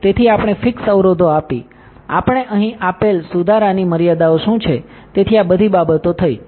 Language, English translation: Gujarati, So, we gave the fix constraints, what are the fix constraints we gave here, so, all these things are done